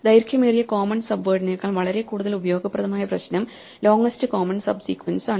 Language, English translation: Malayalam, A much more useful problem in practice than the longest common subword is what is called the longest common subsequence